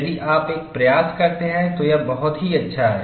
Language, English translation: Hindi, If you make an attempt, it is very nice